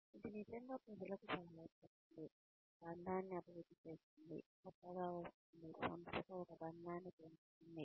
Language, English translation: Telugu, It really helps people, develop a bond, the newcomers, develop a bond with the organization